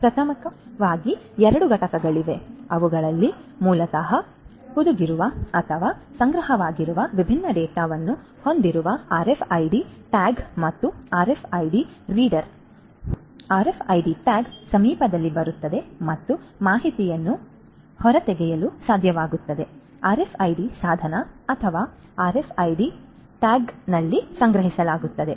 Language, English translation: Kannada, So, there are primarily two components one is the RFID tag which will have different data that are basically embedded or stored in them and the RFID reader which will come in the close proximity of the RFID tag and would be able to extract out the information that is stored in the RFID device or the RFIC RFID tag